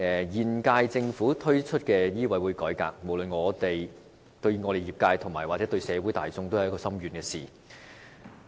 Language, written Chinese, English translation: Cantonese, 現屆政府推出的香港醫務委員會改革，無論對業界或社會也造成深遠影響。, The reform of the Medical Council of Hong Kong MCHK rolled out by the current Government will have far - reaching effects on both the medical sector and society